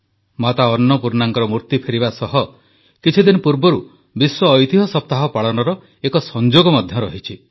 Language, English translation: Odia, There is a coincidence attached with the return of the idol of Mata Annapurna… World Heritage Week was celebrated only a few days ago